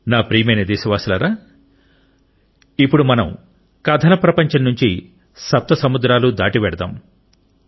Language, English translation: Telugu, My dear countrymen, come, let us now travel across the seven seas from the world of stories, listen to this voice